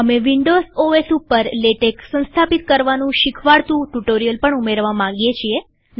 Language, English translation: Gujarati, We plan to add a tutorial on installation of Latex in windows OS